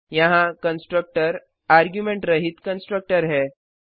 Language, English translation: Hindi, The constructor here is the no argument constructor